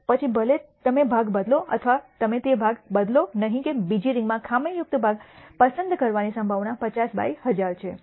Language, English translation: Gujarati, Whether you replace the part or whether you do not replace the part the probability of picking a defective part in the second ring is 50 by 1,000